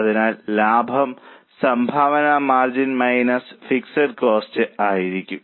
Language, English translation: Malayalam, So, profit is going to be contribution margin minus fixed cost